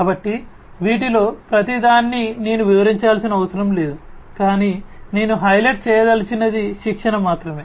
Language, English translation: Telugu, So, I do not need to explain each of these, but only thing that I would like to highlight is the training